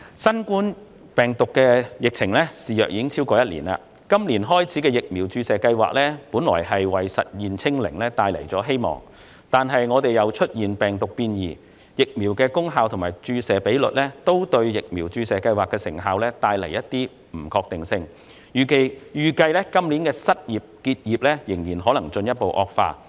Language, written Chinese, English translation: Cantonese, 新冠病毒疫情已肆虐超過一年，今年展開的疫苗注射計劃本來為實現"清零"帶來希望，但病毒變異、疫苗功效存疑及注射比率不理想等因素，均對疫苗注射計劃的成效帶來不確定性，預計今年的失業及結業情況或會進一步惡化。, The COVID - 19 epidemic has been raging for over one year . The vaccination programme which commenced this year originally offered hope of achieving zero infection but the effectiveness of the programme has been rendered uncertain by the emergence of virus variants doubts about the efficacy of the vaccines and the unsatisfactory vaccination rate . It is envisaged that the situation of unemployment and business closure may further deteriorate this year